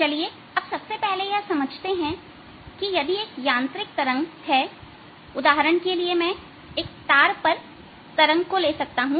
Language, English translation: Hindi, let us first understand that if there is a mechanical wave, for example i could take a wave on a string